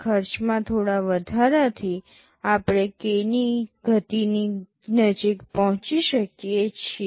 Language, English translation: Gujarati, By very nominal increase in cost we are achieving close to k speed up